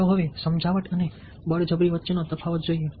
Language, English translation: Gujarati, let us now look at the difference between persuasion and coercion